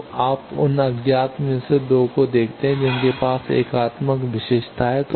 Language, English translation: Hindi, So, you see 2 of those unknowns due to unitary property they have gone